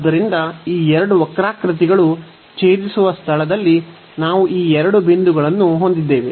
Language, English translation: Kannada, So, we will have these two points now where these two curves intersects